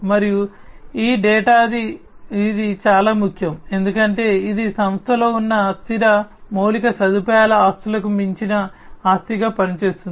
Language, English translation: Telugu, And this data it is very important, because it serves as an asset beyond the fixed infrastructure assets that are there in the company that